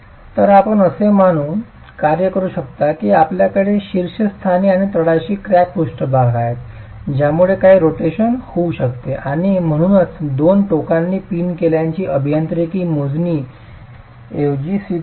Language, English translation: Marathi, So, you can work with the assumption that you have cracked surfaces at the top and the bottom allowing for some rotation and therefore the assumption of a pinned end of the two ends being pin is rather acceptable from the engineering calculations themselves